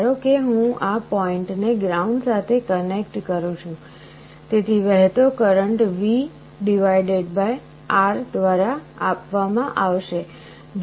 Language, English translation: Gujarati, Suppose I ground this point, so the current that will be flowing will be given by V / R